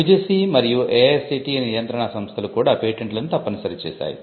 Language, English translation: Telugu, The UGC and the AICTE regulatory bodies have also mandated some kind of activity around patents for instance